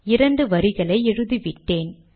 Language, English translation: Tamil, So I have written the first two rows